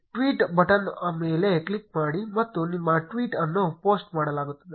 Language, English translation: Kannada, Click on the tweet button and your tweet will be posted